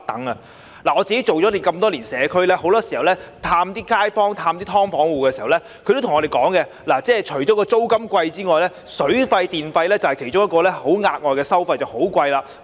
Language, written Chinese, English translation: Cantonese, 我做了多年社區工作，經常探訪街坊和"劏房戶"，他們都告訴我，除了租金昂貴外，水費和電費等額外收費亦非常高昂。, I have been serving the community for years and have paid frequent visits to local residents and tenants of subdivided units . I have been told that apart from the high rents additional fees such as those for water and electricity are also sky - high